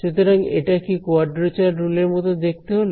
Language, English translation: Bengali, So, does this look like a quadrature rule